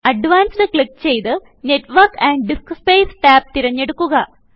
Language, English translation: Malayalam, Click on Advanced, select Network and DiskSpace tab and click Settings